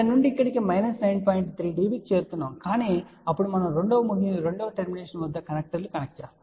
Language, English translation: Telugu, 3 db ok , but then we will be connecting connecters are the two end